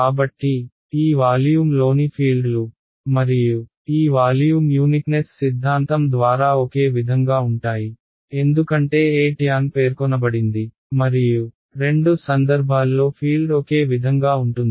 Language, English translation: Telugu, So, the fields inside this volume and this volume are the same by uniqueness theorem because e tan has been specified and is the same in both cases field will be same in both cases